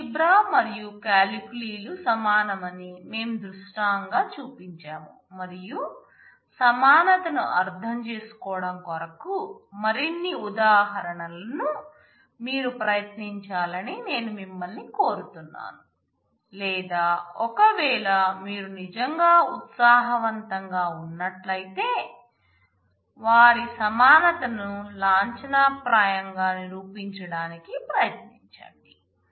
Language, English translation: Telugu, We have shown that we have illustrated that the algebra and the calculi are equivalent and I would request you to work out more examples to understand the equivalence, or if you are really enthused please try out proving their equivalence formally as well